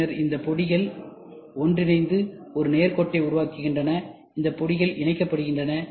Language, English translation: Tamil, Then these powders are joined together to form a straight line ok, these powders are joined